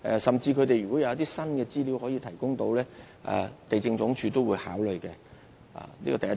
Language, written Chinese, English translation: Cantonese, 甚至如果他們能夠提供一些新的資料，地政總署也會考慮，這是第一點。, LandsD will also take into account any new information if they can provide . This is the first point